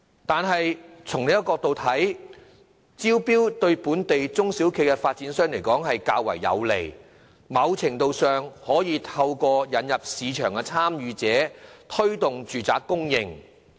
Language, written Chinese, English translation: Cantonese, 但是，從另一角度來看，招標對本地中小型發展商較為有利，在某程度上可以透過引入市場參與者推動住宅供應。, Judging from another perspective it will also be more favourable to small and medium developers in Hong Kong if land sales can be conducted by way of tender and housing supply can be speeded up to a certain extent with the introduction of new participants into the market